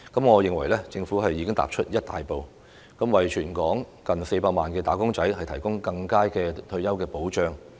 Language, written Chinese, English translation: Cantonese, 我認為政府已踏出一大步，為全港近400萬"打工仔"提供更佳的退休保障。, I think the Government has taken a great step forward and provided better retirement protection for close to 4 million wage earners in Hong Kong